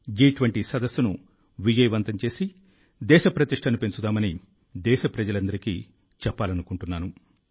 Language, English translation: Telugu, I urge all countrymen to come together to make the G20 summit successful and bring glory to the country